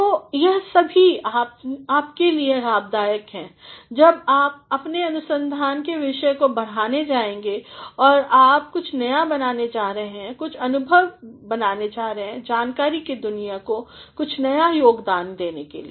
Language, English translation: Hindi, So, all these are helpful to you when you are going to extend the topic of your research and you are going to make something new, make something innovative, in order to contribute something new to the world of knowledge